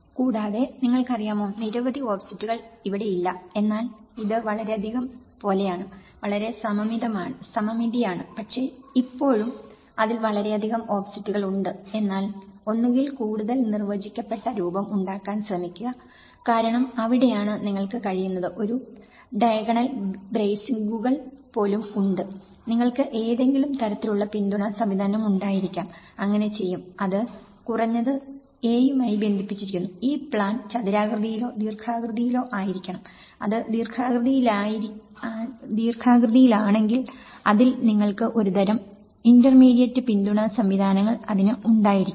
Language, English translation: Malayalam, And also, you know, don’t have too many offsets you know here, this is like too many, so symmetrical but still it’s too many offsets in it but then either try to make more of a defined shape because that is where you can even have a diagonal bracings, you can have some kind of support system so, it will; it is at least bound to a; this plan should be square or rectangular, if it is rectangular then you need to have a kind of intermediate support systems into it